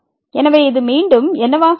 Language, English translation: Tamil, So, what will be this again